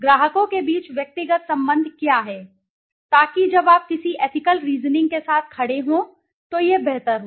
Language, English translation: Hindi, What is the personal relationship between the clients, so that improves when you stand with some ethical reasoning